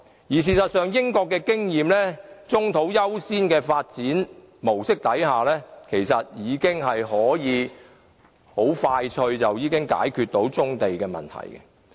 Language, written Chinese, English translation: Cantonese, 事實上，根據英國的經驗，以棕地優先的發展模式已經可以快速解決棕地問題。, As a matter of fact experiences obtained in the United Kingdom show that giving priority to developing brownfields can quickly solve the problem